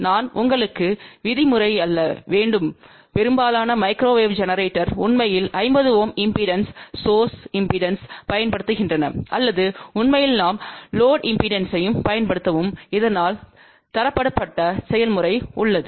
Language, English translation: Tamil, I mean just to tell you most of the microwave generators really use 50 ohm impedance source impedance or in fact we use load impedance also, so that there is a standardized process